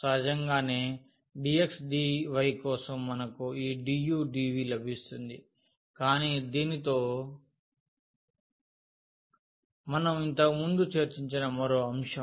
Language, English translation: Telugu, Naturally, for the dx dy we will get this du dv, but with this another factor which we have just discussed before also